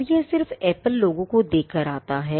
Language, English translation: Hindi, Now, all this comes by just looking at the apple logo